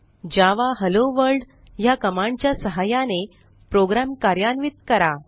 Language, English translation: Marathi, Now, run the program using the command java HelloWorld and